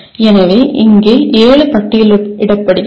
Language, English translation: Tamil, So there are seven that are listed here